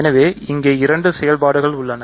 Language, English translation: Tamil, So, here there are two operations